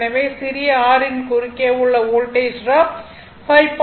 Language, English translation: Tamil, So, Voltage drop across small r is 5